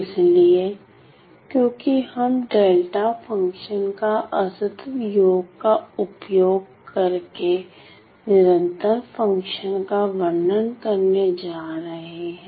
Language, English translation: Hindi, So, because we are going to described my describe my continuous function using a discrete sum of delta functions